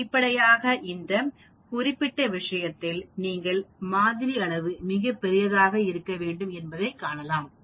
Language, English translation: Tamil, Obviously in this particular case also we can see the sampling size has to be much larger